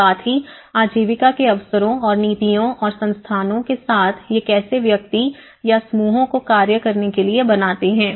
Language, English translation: Hindi, As well as the livelihood opportunities and also the policies and the institutions, how these actually make the individual or the groups to act upon